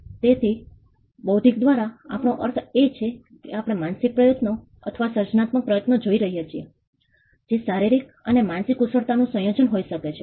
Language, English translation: Gujarati, So, intellectual by intellectual we mean, or we are looking at the mental effort or the creative effort, which could be a combination of physical and mental skills